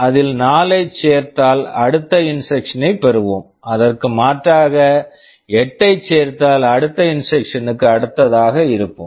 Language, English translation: Tamil, If we add 4 to it, we will be getting the next instruction; if we add 8 to it, we will be the next to next instruction